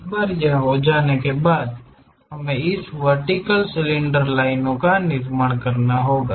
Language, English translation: Hindi, Once it is done, tangent to that we have to construct this vertical cylinder lines